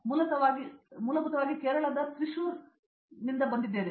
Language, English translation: Kannada, I am basically from Kerala a place call Trishur